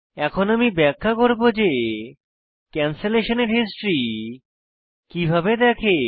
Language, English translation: Bengali, I will now explain how to see the history of cancellation